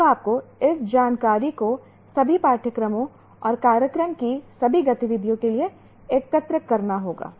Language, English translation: Hindi, Now you have to collect this information for all the courses and all the activities of the program